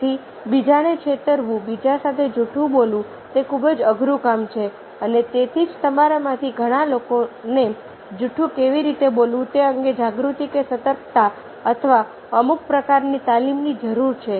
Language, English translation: Gujarati, so deceiving others, telling lie with others, it is very difficult task and thats why we one requires lots of you know, consciousness or alert, or some sort of training how to tell a lie